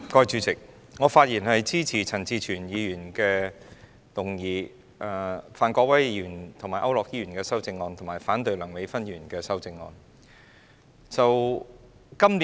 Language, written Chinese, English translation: Cantonese, 主席，我發言支持陳志全議員的議案，以及范國威議員和區諾軒議員的修正案，並反對梁美芬議員的修正案。, President I speak in support of Mr CHAN Chi - chuens motion and Mr Gary FANs and Mr AU Nok - hins amendments and against Dr Priscilla LEUNGs amendment